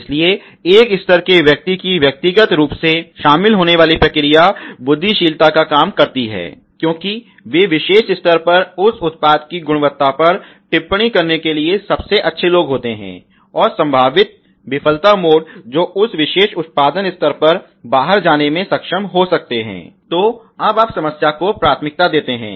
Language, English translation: Hindi, So, the process a level persons personal a really involved do the brainstorming, because they are the best people to actually comment on the quality of that product at particular level and the potential failure modes which may able to go out on that particular production level, so now you priorities the problem